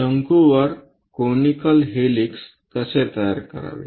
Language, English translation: Marathi, How to construct a conical helix over a cone